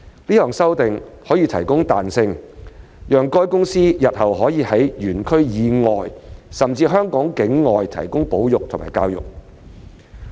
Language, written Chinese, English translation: Cantonese, 這項修訂可提供彈性，讓海洋公園公司日後可在園區以外甚至香港境外進行保育和教育工作。, This amendment will provide flexibility for OPC to carry out conservation and education work outside OP or even Hong Kong in the future